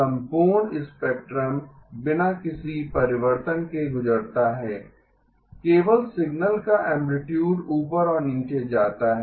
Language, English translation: Hindi, The whole spectrum goes through without any alteration, only the amplitude of the signal goes up and down